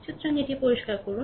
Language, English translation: Bengali, So, let clear it right